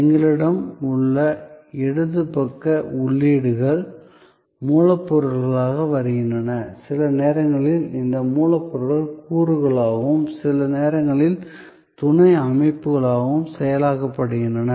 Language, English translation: Tamil, So, we have on the left hand side inputs, which are coming as raw material, sometimes these raw materials are processed as components, sometimes as sub systems